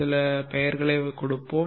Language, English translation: Tamil, Let us give some names